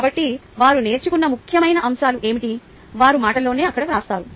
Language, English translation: Telugu, what are the important points they learned in their own words